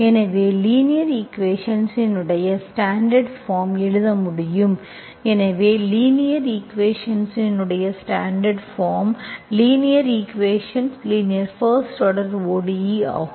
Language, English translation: Tamil, So the standard form of linear equation we can write, so standard form of linear equation, so linear equation, linear first order ODE